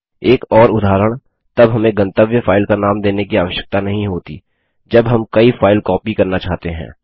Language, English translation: Hindi, Another instance when we do not need to give the destination file name is when we want to copy multiple files